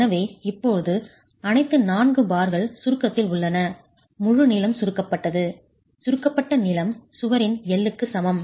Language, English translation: Tamil, So, now all the four bars are in compression, entire length is compressed, compressed length is equal to L of the wall